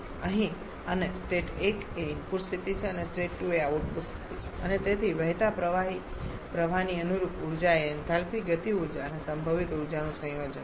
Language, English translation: Gujarati, Here and the state 1 is the input state 2 is the output state and so the corresponding energy of the flowing fluid stream is a combination of enthalpy kinetic energy and potential energy